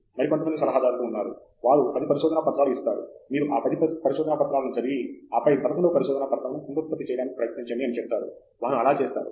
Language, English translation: Telugu, There are some advisors, who would go to the extent of giving you a list of 10 papers, you read these 10 papers and read this 11th paper, and then try to reproduce; they would do that